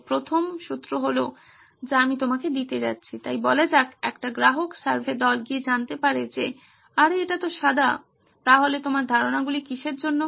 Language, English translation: Bengali, So the first clue that I am going to give you is, so let’s say a customer survey group went and found out that hey it is white, so what are your ideas for